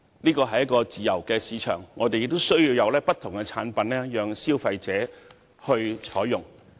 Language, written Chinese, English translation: Cantonese, 這是一個自由市場，我們需要有不同的產品供消費者選擇。, This is a free market and we need to have different products to provide choices for consumers